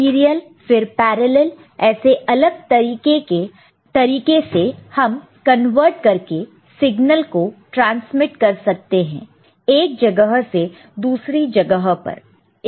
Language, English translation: Hindi, There are serial then parallel, many way you can convert, transmit this signal from one place to another